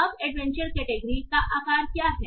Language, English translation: Hindi, Now what is the size of the adventure category